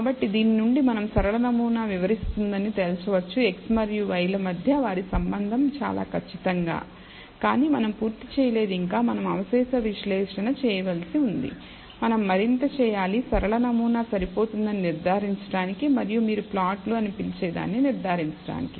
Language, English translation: Telugu, So, from this we can conclude maybe a linear model is explains their rela tionship between x and y very precisely, but we are not done yet we have to do residual analysis we have to do further what you call plots in order to judge and conclude that linear model is adequate